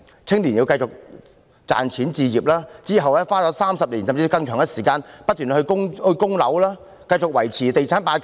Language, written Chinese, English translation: Cantonese, 青年人須繼續賺錢置業，之後花上30年，甚至更長的時間來不斷供樓，繼續維持"地產霸權"。, Young people have to continue to make money to buy a flat then spend 30 years or even longer to pay off the mortgage continuously and continue to support the real estate hegemony